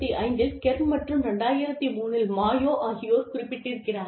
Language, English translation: Tamil, Kerr in 1995, and Mayo in 2003